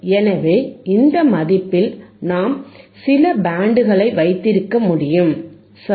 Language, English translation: Tamil, So, we can have some band which is around this value, right